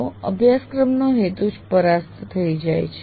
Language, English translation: Gujarati, Then the very purpose of the course itself is lost